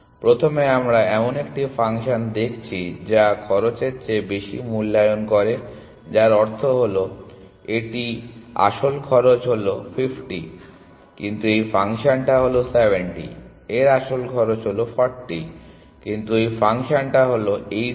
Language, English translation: Bengali, So, first we are looking at a function which over overestimates the costs which means that this actual cost for this is 50, but this function thing it is 70, actual cost for this is 40, but this function thing it is 80